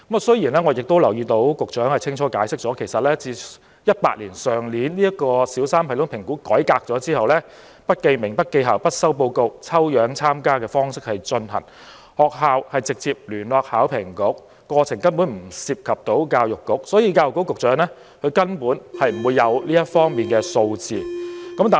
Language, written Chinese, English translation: Cantonese, 雖然我留意到局長清楚解釋，其實去年2018年小三全港性系統評估改革後，是不記名、不記校、不收報告，以抽樣參加的方式進行，學校直接聯絡香港考試及評核局，過程根本不涉及教育局，所以教育局局長不會有這方面的數字。, No reports would be received and the assessment was conducted by means of random sampling . The schools would directly contact the Hong Kong Examinations and Assessment Authority . As the process would not involve the Education Bureau the Secretary for Education did not have the figures concerned